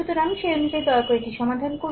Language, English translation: Bengali, So, accordingly you please solve it